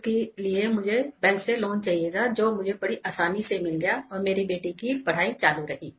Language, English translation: Hindi, I needed to take a bank loan which I got very easily and my daughter was able to continue her studies